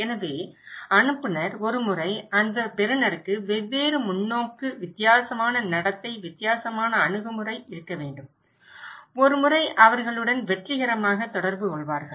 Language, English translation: Tamil, So, the sender, once that receiver should have different perspective, a different behaviour, different attitude, once they would be successfully communicate with them